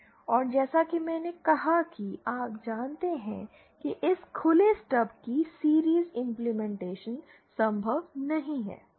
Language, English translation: Hindi, And as I said you know series implementation of this open stub is not possible